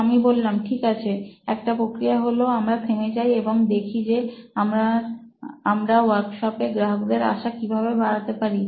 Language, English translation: Bengali, So I said okay, one way is to just stop here and say how might we increase the customer visits to the workshop